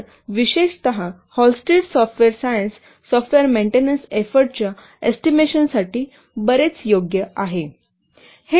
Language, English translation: Marathi, So especially Hullstreet software science is very much suitable for estimating software maintenance efforts